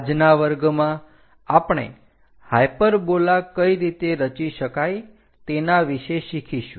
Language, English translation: Gujarati, In today's class, we will learn about how to construct a hyperbola